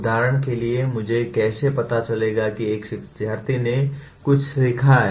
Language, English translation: Hindi, For example, how do I know a learner has learned something